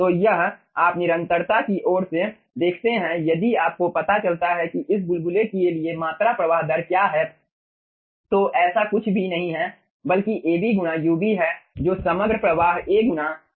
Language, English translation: Hindi, so it you see, from the continuity side, if you find out what is the ah, volumetric flow rate for this bubble, so which is nothing but ab into ub, that will be responsible for the overall flow: a into j